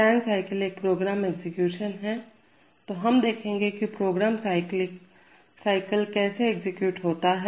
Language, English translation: Hindi, Today we will discuss a scan cycle, that is a scan is a program execution, so we will discuss how programs are cyclically executed